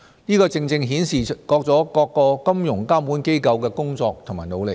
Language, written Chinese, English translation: Cantonese, 這正正顯示了各個金融監管機構的工作和努力。, These figures show the work and efforts made by the financial regulators